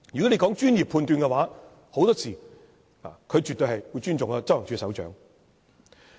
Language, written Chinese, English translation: Cantonese, 說到專業判斷，很多時候，專員絕對會尊重執行處首長。, In terms of professional judgment the Commissioner will surely show respect to the Head of Operations